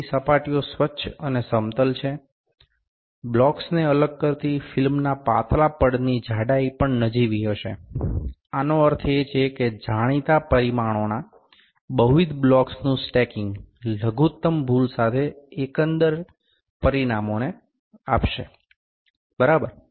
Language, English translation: Gujarati, So, the surfaces are clean and flat, the thin layer of film separating the blocks will also have negligible thickness, this means that stacking of multiple blocks of known dimensions will give the overall dimensions with minimum error, ok